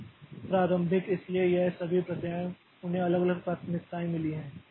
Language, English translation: Hindi, Then, uh, initiate so all these processes have got different different priorities